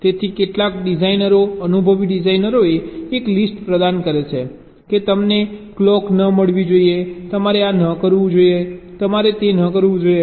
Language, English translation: Gujarati, so some designers, experienced designers, they have provided a list that you should not get a clock, you should not do this, you should not do that